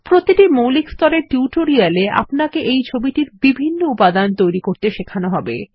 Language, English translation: Bengali, Each basic level tutorial will demonstrate how you can create different elements of this picture